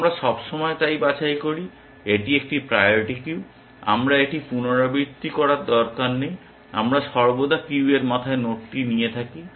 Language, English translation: Bengali, We always pick so, it is a priority queue, I do not need to repeat that, we always take the node at the head of the queue